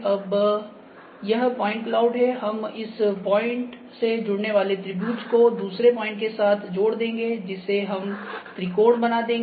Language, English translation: Hindi, Now, this is the point cloud, we will make triangle out of this joining a point with other point we are make the triangles ok